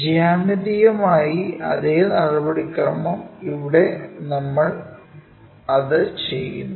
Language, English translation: Malayalam, The same procedure geometrically here we are doing it in that way